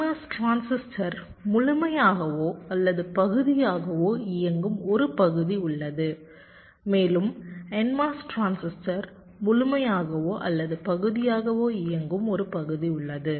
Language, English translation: Tamil, there is a region where the p mos transistor is either fully on or partially on and there is a region where the n mos transistor is either fully on or partially on